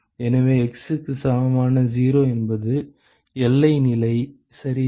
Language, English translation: Tamil, So, at x equal to 0 that is the boundary condition ok